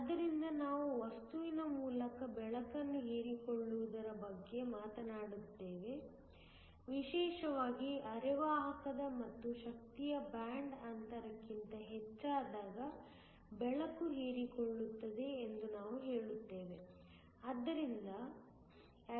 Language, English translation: Kannada, So, we talked above the absorption of light by a material, specially a semiconductor and we say that light gets absorbed, when the energy is greater than band gap